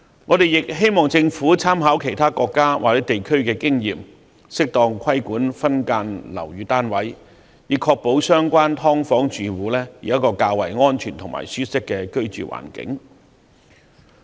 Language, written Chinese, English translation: Cantonese, 我們亦希望政府參考其他國家或地區的經驗，適當規管分間樓宇單位，以確保"劏房"住戶有較為安全和舒適的居住環境。, We also hope the Government will draw reference from the experience of other countries or regions to properly regulate subdivided units so as to ensure a safer and more comfortable living environment for households living in subdivided units